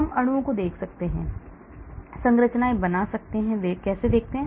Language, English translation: Hindi, We can look at molecules, draw the structures, how they look like